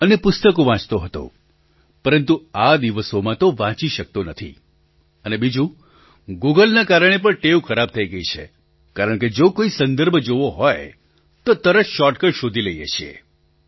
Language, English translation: Gujarati, But these days I am unable to read and due to Google, the habit of reading has deteriorated because if you want to seek a reference, then you immediately find a shortcut